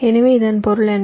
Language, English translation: Tamil, so what does this mean